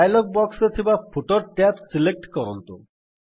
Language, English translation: Odia, Select the Footer tab in the dialog box